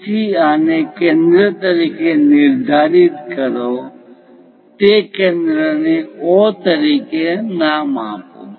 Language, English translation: Gujarati, So, locate this one as centre, name that centre as O